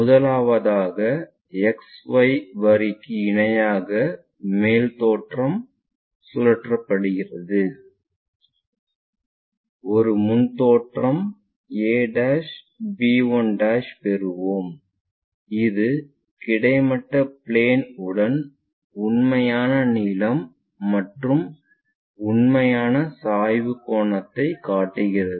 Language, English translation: Tamil, First true top view is rotated made parallel to XY line is corresponding front view a' a; I am sorry a b 1' we will get it a' b 1' and that shows the true length and true inclination angle with horizontal plane